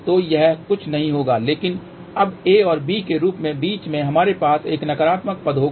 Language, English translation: Hindi, So, this will be nothing, but now, in the form of a and b in between we will have a negative term